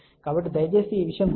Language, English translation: Telugu, So, please remember these thing